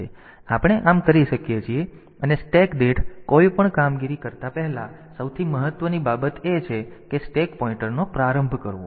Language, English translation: Gujarati, So, we can so, before doing any per stack operation the most important thing is to initialize the stack pointer